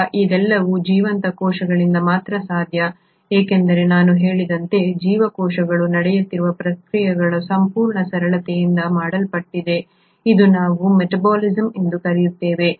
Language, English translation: Kannada, Now, all this is only possible in a living cell because, as I said, cells are made up of a whole series of reactions which are taking place, which is what we call as metabolism